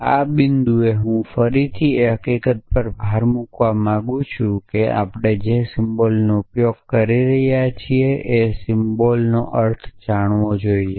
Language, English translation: Gujarati, So, at this point I would again like to emphasis the fact that you must discriminate between the symbol that we are using and the meaning of the symbol essentially